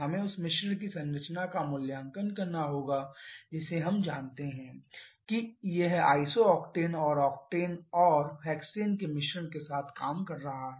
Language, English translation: Hindi, We have to evaluate the composition of the mixture that is we know that the; it is working with a mixture of iso octane and octane and hexane